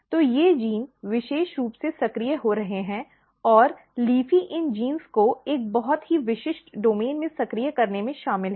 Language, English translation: Hindi, So, these genes are very specifically getting activated and LEAFY is involved in activating these genes in a very specific domain